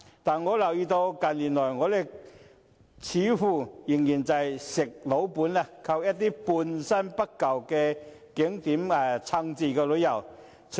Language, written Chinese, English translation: Cantonese, 但我留意到，近年來，我們似乎仍在"吃老本"，靠一些半新不舊的景點支撐着旅遊業。, I notice that in recent years it seems that we have rested on our laurels and relied on some ageing tourist attractions to support the tourism industry